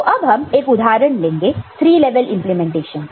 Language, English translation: Hindi, So, this is a three level implementation